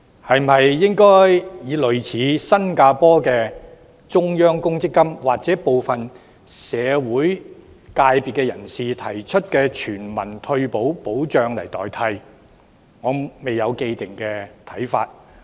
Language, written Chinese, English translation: Cantonese, 是否應以類似新加坡的中央公積金，或部分社會人士提出的全民退休保障來代替，我未有既定看法。, Should it be replaced by another system similar to the Central Provident Fund of Singapore or a universal retirement protection scheme as proposed by some members of the public? . I have no determined views yet